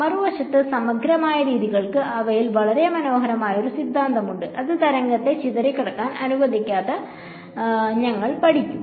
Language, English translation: Malayalam, On the other hand, integral methods have a very beautiful theory within them which we will study which do not allow the wave to disperse